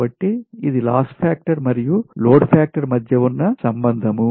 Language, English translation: Telugu, so relationship between load factor and loss factor